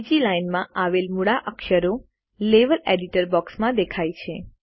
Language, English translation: Gujarati, A second line comprising alphabets appears in the Level Editor box